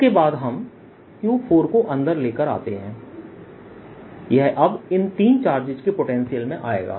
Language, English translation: Hindi, this will now be coming in the potential of this three charges